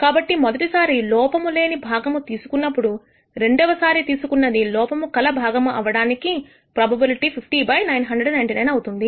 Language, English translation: Telugu, So, the probability of picking a defective part in the second pick given that you picked a defective part in the first pick is 49 by 999